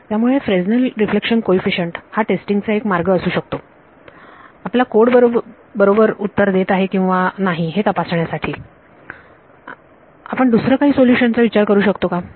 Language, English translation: Marathi, So, Fresnel reflection coefficients this can be one way of testing whether your code is giving the correct answer any other solutions you can think of